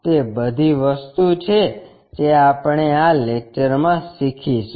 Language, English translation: Gujarati, That is a thing what we are going to learn it in this lecture